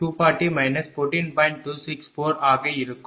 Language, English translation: Tamil, 264 and it is 14